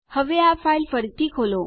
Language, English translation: Gujarati, Now lets re open the file